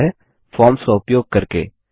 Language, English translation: Hindi, And that, is by using Forms